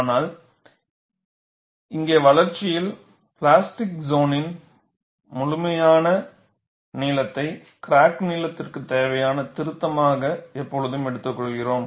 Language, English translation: Tamil, But here in the development itself, we always take the complete length of the plastic zone as a correction required for the crack length